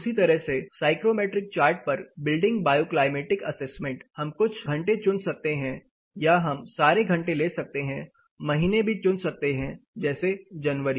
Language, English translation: Hindi, Similar to the previous you know psychrometric building bioclimatic assessment on psychrometric chart, we can also take selected hours or you can go for all hours you can selected months for example just for January